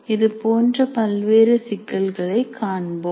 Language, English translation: Tamil, But let us look at the different issues